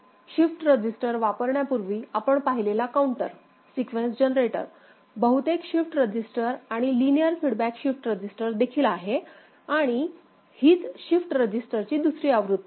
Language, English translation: Marathi, So, the counter sequence generator we had seen before using shift register, mostly shift register and linear feedback shift register also, alright and that is also another version of a shift resigister